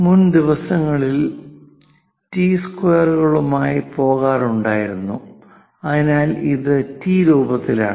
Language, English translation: Malayalam, Earlier days, people used to go with T squares, so it is in the form of T